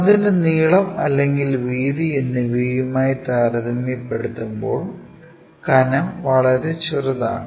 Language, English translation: Malayalam, The thickness is much smaller compared to the either the length or breadth of that